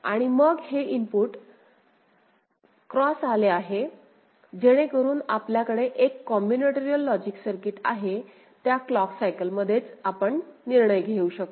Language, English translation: Marathi, And then these input x has come, so you have a combinatorial logic circuit, together in that clock cycle itself, we can take the decision